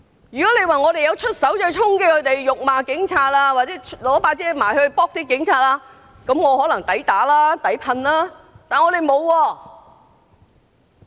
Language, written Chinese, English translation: Cantonese, 如果我們衝擊、辱罵警察或以雨傘襲擊警察，我們可能抵打、抵噴，但我們沒有。, If we charged police officers hurled abuses at them or attacked them with umbrellas we might deserve to be beaten or sprayed at but we did nothing of that sort